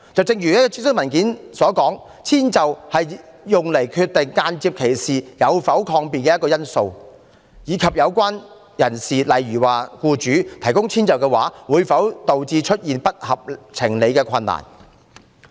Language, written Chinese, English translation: Cantonese, 正如諮詢文件提到，遷就是用作決定間接歧視有否抗辯的一個因素，以及有關人士，例如僱主提供遷就的話，會否導致出現不合情理的困難。, As stated in the consultation document accommodation is one factor in determining whether or not there is a defence to indirect discrimination and whether or not unjustifiable hardship would be caused to the relevant person to provide accommodation